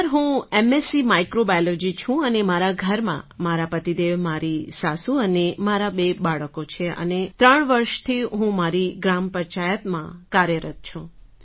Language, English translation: Gujarati, Sir, I am MSC Microbiology and at home I have my husband, my motherinlaw and my two children and I have been working in my Gram Panchayat for three years